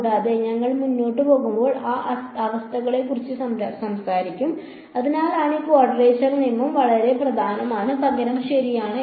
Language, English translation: Malayalam, And, we will talk about those conditions as we go along ok, that is why this quadrature rule is very important useful rather ok